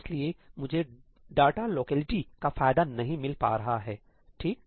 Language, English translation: Hindi, So, I am not getting the benefit of data locality